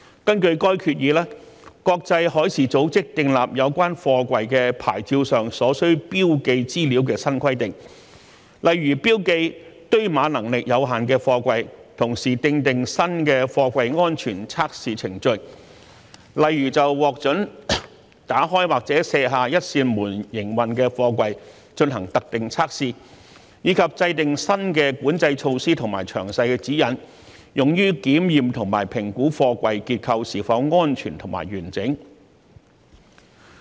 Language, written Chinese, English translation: Cantonese, 根據該決議，國際海事組織訂立有關貨櫃牌照上所需標記資料的新規定，例如標記堆碼能力有限的貨櫃，同時訂定新的貨櫃安全測試程序，例如就獲准打開或卸下一扇門營運的貨櫃進行特定測試，以及制訂新的管制措施和詳細指引，用於檢驗和評估貨櫃結構是否安全和完整。, Under that resolution IMO introduced new requirements on information to be marked on the SAPs of containers such as the marking of containers with limited stacking capacity . IMO also prescribed new safety test procedures for containers such as specific tests for containers approved for operation with one door open or removed as well as new control measures and specific guidelines for the examination and assessment of the structural safety and integrity of a container